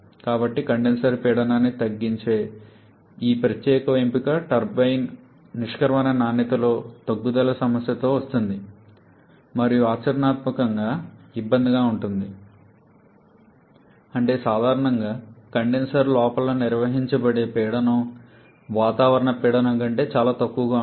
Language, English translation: Telugu, So, this particular option of decreasing the condenser pressure comes with a problem of reduction in turbine exit quality and also a practical difficulty that is we are generally the pressure in maintained inside the condenser is well below the atmospheric pressure